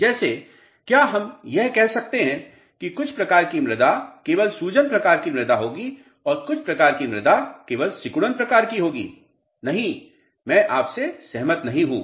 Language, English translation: Hindi, Like can we say that certain type of soils will only with swelling type of soils and certain type of soil would be only shrinking type of soils